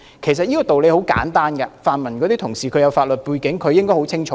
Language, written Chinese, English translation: Cantonese, 其實這個道理很簡單，這位泛民同事有法律背景，他應該比我清楚。, In fact this rationale is very simple and this pan - democratic Member with a legal background should have a better understanding than me